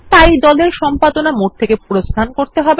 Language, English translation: Bengali, So we have to exit the Edit mode of the group